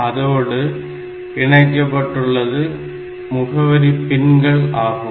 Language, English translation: Tamil, So, first one is the address lines so these are the address pins